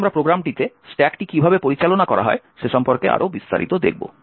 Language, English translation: Bengali, Now we will look a little more in detail about how the stack is managed in the program